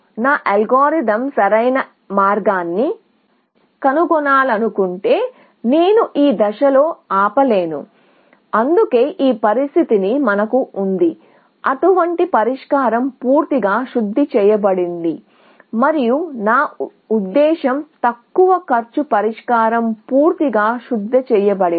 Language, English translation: Telugu, If I want my algorithm to find the optimal path, I cannot stop at this stage, which is why, we have this condition, till such a solution is fully refined, and such, I mean, the least cost solution is fully refined